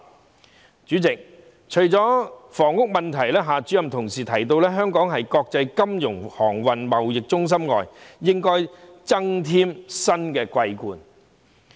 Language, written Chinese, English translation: Cantonese, 代理主席，除了房屋問題，夏主任同時提到香港應在國際金融、航運、貿易中心以外增添"新的桂冠"。, Deputy President apart from the housing issue Director XIA also mentioned that Hong Kong should add new laurels to its status as an international financial shipping and trading centre